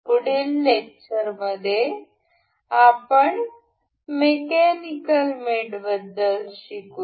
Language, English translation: Marathi, In the next lecture, we will learn about the mechanical mates